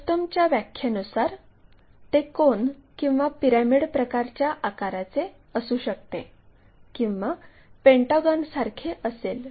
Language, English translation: Marathi, Frustum by definition it might be having a cone or pyramid kind of shape or perhaps pentagonal thing